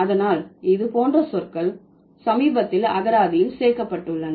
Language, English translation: Tamil, So, these, so the words like this, they have been recently added to the lexicon